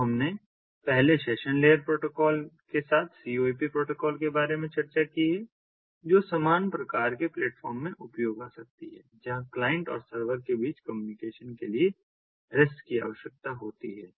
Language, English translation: Hindi, so we have discussed about the core protocol, first with the session layer protocol, which is useful for use in a similar kind of platform where rest is required for communication between the client and the server